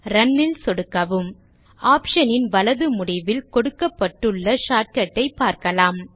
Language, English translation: Tamil, Click Run And Notice that on the right end of the option, there is the shortcut is given